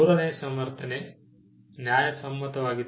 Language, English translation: Kannada, The third justification is one of fairness